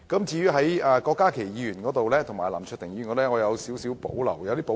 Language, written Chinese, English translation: Cantonese, 至於郭家麒議員及林卓廷議員的修正案，我則有點保留。, As for Dr KWOK Ka - ki and Mr LAM Cheuk - tings amendments I have some reservations about them